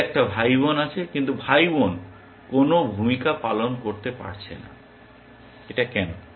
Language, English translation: Bengali, It has a sibling, but the sibling is never going to play a role, why